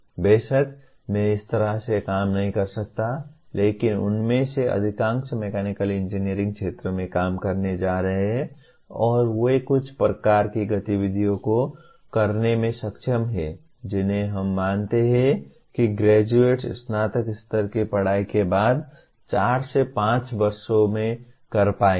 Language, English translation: Hindi, Of course I cannot legislate they have to work like that, but majority of them are going to work in the mechanical engineering field and they are able to perform certain type of activities that we consider the graduates will be able to do in four to five years after graduation